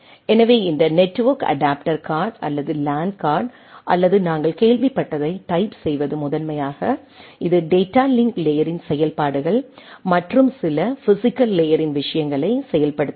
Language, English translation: Tamil, So, this network adapter card or LAN card or type this whatever we heard is primarily enables this your functionalities of data link layer and some of the physical layer things